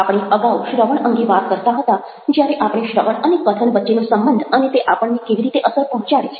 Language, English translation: Gujarati, we had been talking about listening earlier, when we were talking about the relationship between listening and speaking and how it influences us